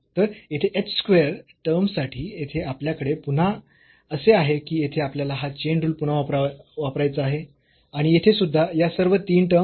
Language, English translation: Marathi, So, here for h square term we have again here we have to use this chain rule then again here and here so, all these three terms